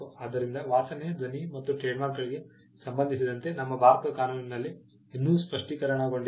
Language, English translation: Kannada, So, we the law with regard to smell sound and trademarks is still not crystallized in India